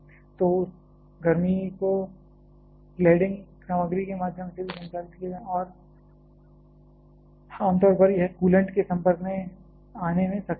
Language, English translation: Hindi, So, that heat has to be conducted through the cladding material as well and generally it will be able to come in contact to the coolant